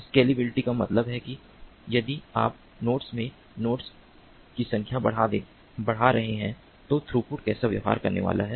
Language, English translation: Hindi, scalability means that if you are increasing the number of nodes in the network, then how is the throughput going to behave